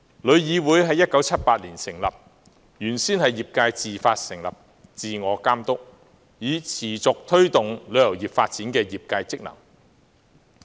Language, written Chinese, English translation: Cantonese, 旅議會於1978年成立，原先是業界自發成立，自我監督，以持續推動旅遊業發展的業界職能。, Established in 1978 TIC was initially set up by members of the industry to perform the functions of self - regulation and continual promotion of the development of the industry